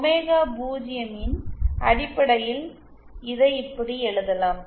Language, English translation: Tamil, Also in terms of omega 0, it can be written like this